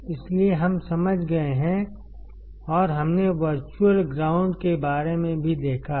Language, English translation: Hindi, So, that we have understood and we have also seen about the virtual ground